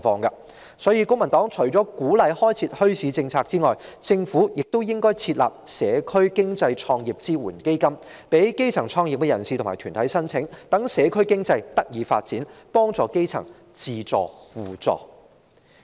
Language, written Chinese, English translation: Cantonese, 因此，公民黨認為除了鼓勵開設墟市的政策外，政府亦應設立社區經濟創業支援基金，供基層創業人士及團體申請，使社區經濟得以發展，幫助基層自助互助。, Hence in addition to policies on bazaars the Civic Party considers that the Government should set up a Startup Support Fund for Community Economy for grass - roots startups and organizations so as to facilitate the development of community economy and support the grass roots to help themselves and one another